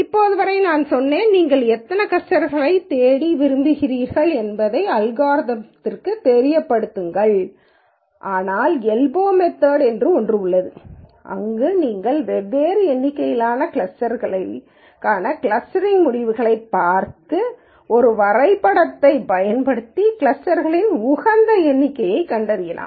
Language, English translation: Tamil, Till now I said you let the algorithm know how many clusters you want to look for, but there is something called an elbow method where you look at the results of the clustering for different number of clusters and use a graph to find out what is an optimum number of clusters